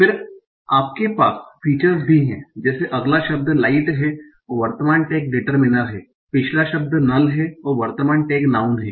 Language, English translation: Hindi, In the end you also have features like the next word is light, current tag is determinal, previous word is null and current tag is noun